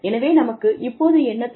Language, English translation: Tamil, So, what do we need